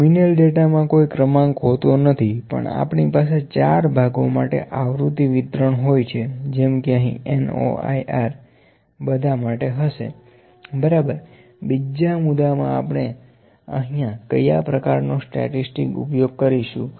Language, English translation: Gujarati, In nominal data we do not have any order, but we can have frequency distribution for all the four constitutes, I can put here the frequency distribution this can be for N O I R for all this, ok, number 2, what kind of the statistic can we use here